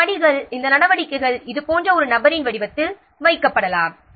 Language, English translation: Tamil, These steps, these activities can be put in the form of a figure like this